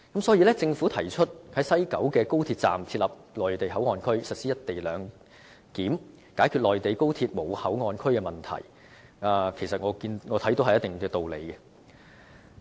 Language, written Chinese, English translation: Cantonese, 因此，政府提出在西九高鐵站設立內地口岸區，實施"一地兩檢"，解決內地高鐵站沒有口岸區的問題，我看有一定道理。, The Government thus proposes to set up a Mainland Port Area and implement the co - location arrangement at the West Kowloon Station of XRL in order to cope with the absence of control point at HSR stations in the Mainland . In my view this is reasonable to a certain extent